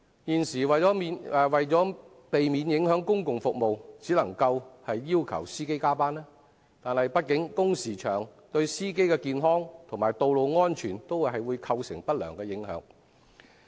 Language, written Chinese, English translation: Cantonese, 現時為免影響公共服務，只能要求司機加班，但畢竟工時長，對司機的健康及道路安全均會構成不良影響。, At present there is no alternative but to require the drivers to work overtime to avoid affecting public services . After all long working hours will adversely affect both the drivers health and road safety